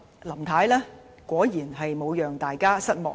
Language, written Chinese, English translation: Cantonese, 林太果然沒有令大家失望。, Surely Mrs LAM has not disappointed us